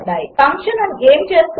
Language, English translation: Telugu, What will the function do